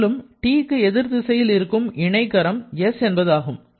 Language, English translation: Tamil, Similarly, for getting T we have to go to the opposite of this which is s